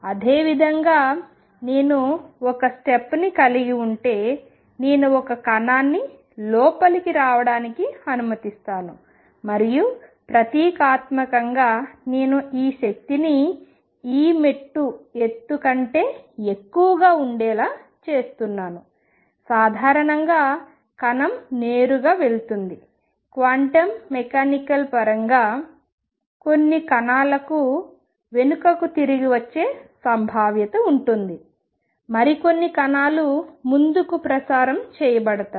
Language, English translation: Telugu, Similarly, if I have a step and suppose, I allow a particle to come in and symbolically, I am making this energy E to be greater than the step height classically the particle would just go straight quantum mechanically sound the particles have a probability of coming back and others go out in this case a majority would be going to the other side of the barrier as you would expect classically where all the particle go to the other side